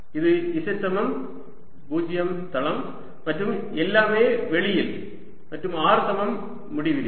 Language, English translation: Tamil, this is a z equals to zero plane and all throughout outside, and at r equal to infinity